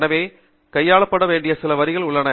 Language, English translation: Tamil, So, there is certain way in which it has to be handled